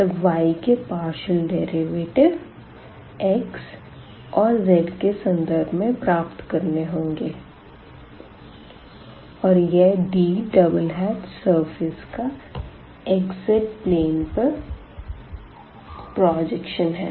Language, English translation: Hindi, So, we will have the partial derivatives of y with respect to x and z and then dx d and here this D double hat will be the projection of the surface in xz plane